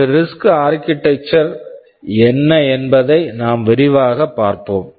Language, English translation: Tamil, Now wWe shall go into some detail what a RISC architecture is and the design is pretty powerful